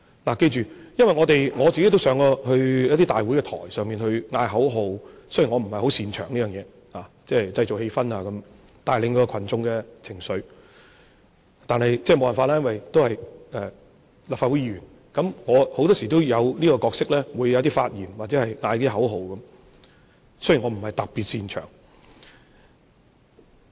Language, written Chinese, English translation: Cantonese, 請記着，我也曾經在大會台上呼喊口號，雖然我不是十分擅長在這方面製造氣氛和帶領群眾情緒，但沒法子，我是立法會議員，很多時候我會有這個角色，需要發言和喊口號，儘管我不是特別擅長。, Although I am not very good at creating atmosphere or building up peoples mood in this way as a Legislative Council Member I have no choice . I have to play this role from time to time . I have to make speeches and chant slogans though Im not particularly good at it